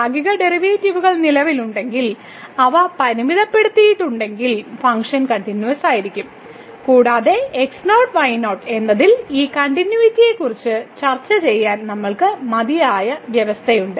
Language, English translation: Malayalam, So, if the partial derivatives exists and they are bounded, then the function will be continuous and we can also have a sufficient condition to discuss this continuity at naught naught